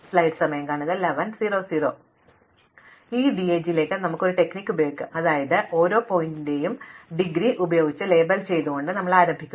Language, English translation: Malayalam, So, let us apply the strategy to this DAG, so we first begin by labelling every vertex by its in degree